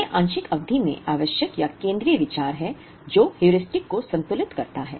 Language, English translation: Hindi, That is the essential or central idea in the part period balancing Heuristic